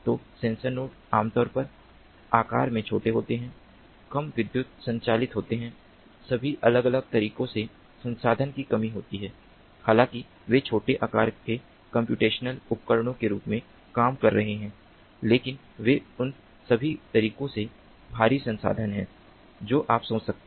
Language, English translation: Hindi, so the sensor nodes are typically small in size, low powered, resource constraint in all different ways, although they are acting as small size computational devices, but they are heavily resource constrained in all different ways that you can think of